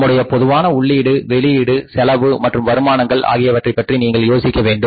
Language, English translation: Tamil, We have to think about our general input outputs, cost and revenues